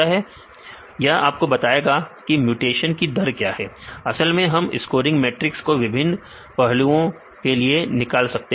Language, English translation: Hindi, This will tell you what is a mutation rates actually we can derive the scoring matrix in various aspects